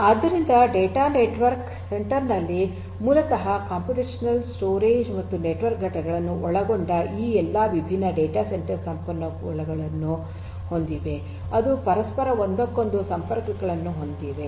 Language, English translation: Kannada, So, in a data centre network basically we have all these different data centre resources involving computational, storage and network entities, which interconnect with one another